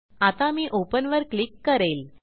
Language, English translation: Marathi, So, now I will click on Open